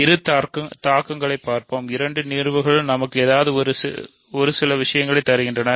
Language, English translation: Tamil, So, let us see both implications, both cases give us something right